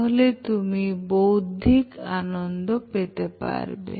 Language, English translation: Bengali, So that will give you that intellectual charm